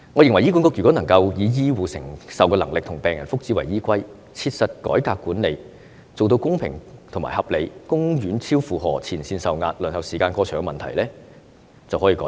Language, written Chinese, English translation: Cantonese, 如果醫管局能夠以醫護承受能力和病人福祉為依歸，切實改革管理，做到公平和合理，公院超負荷、前線受壓、輪候時間過長等問題便可獲得改善。, If HA takes the capacity of healthcare personnel and the welfare of patients as the overriding consideration and reforms in a practical way for the sake of fair and rational management different issues like overloading of public hospitals massive pressure on frontline personnel and long waiting time of patients can be redressed